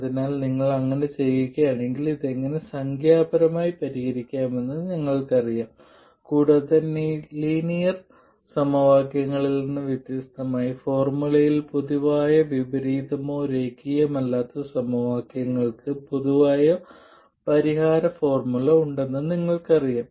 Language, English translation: Malayalam, So if you do then you know how to solve this numerically and you know that unlike linear equations there is no general inversion formula or general solution formula for nonlinear equations